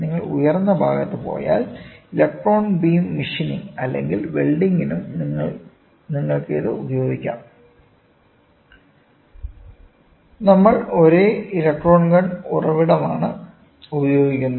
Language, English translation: Malayalam, If you want to go on the higher side you can also use it for electron beam machining or welding; we use the same electron gun source